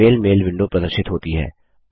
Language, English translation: Hindi, The Gmail Mail window appears